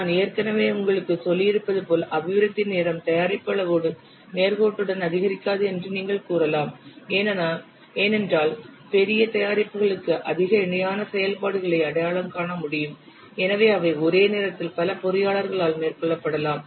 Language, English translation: Tamil, And you can say that I'll just say that development time it does not increase linearly with the product size that I have only told you because for larger products, more parallel activities can be identified and they can be carried out simultaneously by a number of engineers